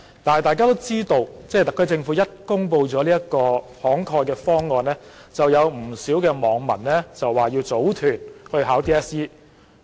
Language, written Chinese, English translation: Cantonese, 但大家都知道，當特區政府公布了這個"慷慨"的方案後，不少網民表示打算組團報考 DSE。, However it is common knowledge that after the SAR Government had announced the generous proposal many netizens made known their intention to form a group to sit for HKDSE